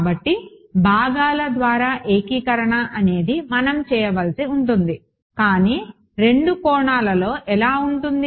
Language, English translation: Telugu, So, integration by parts is what we will have to do, but in two dimensions